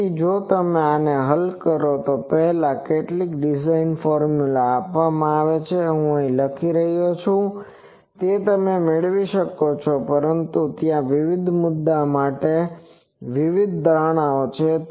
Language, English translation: Gujarati, So, before that if you solve this, you can get some design formulas are given I am writing, but there are various cases various assumptions